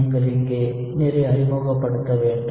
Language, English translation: Tamil, So, you need to introduce water here